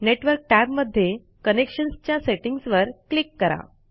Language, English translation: Marathi, Within the Network tab, under Connections, click on the Settings button